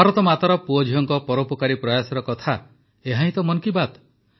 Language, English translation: Odia, Talking about the philanthropic efforts of the sons and daughters of Mother India is what 'Mann Ki Baat' is all about